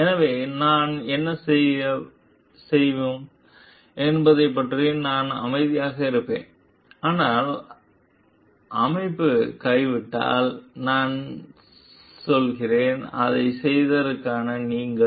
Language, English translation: Tamil, So, what we will do I will keep quiet about it, but if the organization gives up I mean, you for doing it